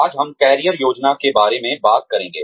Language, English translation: Hindi, Today, we will be talking about, Career Planning